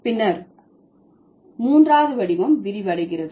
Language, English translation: Tamil, Then the third form is broadening